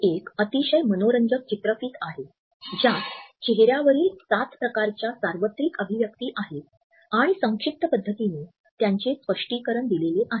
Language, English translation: Marathi, This is a very interesting video which looks at the seven types of universal facial expression and explains them in a succinct manner